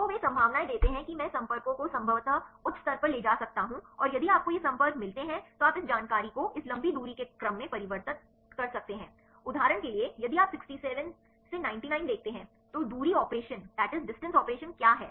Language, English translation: Hindi, So, they give the probabilities I can take the contacts with high probably and if you get these contacts you can convert this information to get this long range order ;for example, if you see 67 99, what is the distance operation